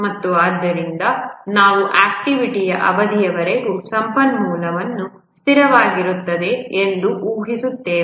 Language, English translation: Kannada, And therefore we assume that for an activity duration, the resource is constant